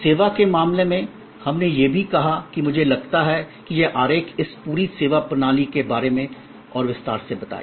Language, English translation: Hindi, In case of service, we also pointed out that this diagram I think will explain in more detail this whole servuction system